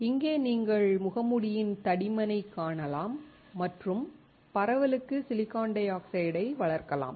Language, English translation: Tamil, Here, you can see the mask thickness and can grow the silicon dioxide for diffusion